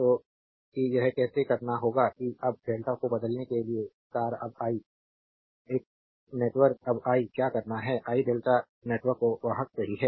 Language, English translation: Hindi, So, that how we will do it that now star to delta transforming now we have I have a star network now what I have to do is, I have to conveyor to delta network right